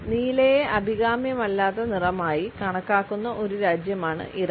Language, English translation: Malayalam, Iran is an exception where blue is considered as an undesirable color